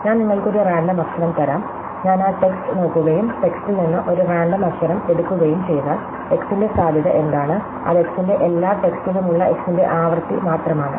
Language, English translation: Malayalam, Like, if I give you a random letter, if I look at the piece of text and pickup a random letter from the text, what is the probability that x, well it is just be the frequency of x across all the text f of x